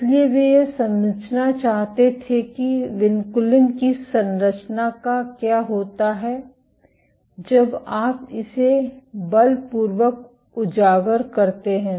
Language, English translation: Hindi, So, they wanted to understand what happens to the structure of vinculin when you expose it to force